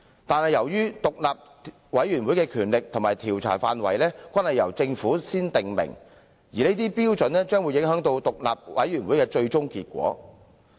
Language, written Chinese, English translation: Cantonese, 可是，由於獨立委員會的權力和調查範圍，均由政府事先訂明，有關規範將影響獨立委員會的最終結果。, However as the investigation powers and scope of inquiry of these independent committees are determined by the Government the final results of the inquiries may be affected